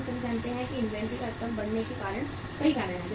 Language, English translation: Hindi, We all know that there are many reasons why inventory level increases